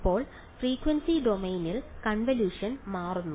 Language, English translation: Malayalam, So, in the frequency domain the convolution becomes